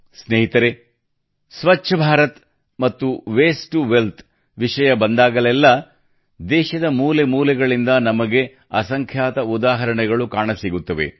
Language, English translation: Kannada, Friends, whenever it comes to Swachh Bharat and 'Waste To Wealth', we see countless examples from every corner of the country